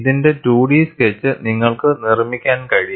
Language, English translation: Malayalam, You can make a 2 D sketch of this